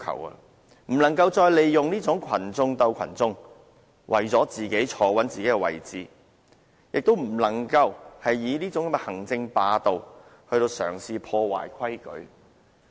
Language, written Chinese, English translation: Cantonese, 特首不能再利用"群眾鬥群眾"方式，來穩住他特首的位置；亦不能嘗試以行政霸道來破壞規矩。, The next Chief Executive must not incite one group of people against another to maintain his or her position as the Chief Executive . Besides he or she must not make use any executive authority to break any rules